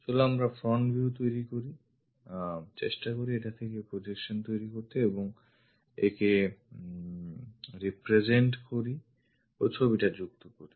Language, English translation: Bengali, Let us make front view, try to make projections out of it and represent it and connect the picture